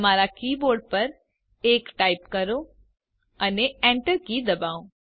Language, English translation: Gujarati, Type 1 on your key board and hit the enter key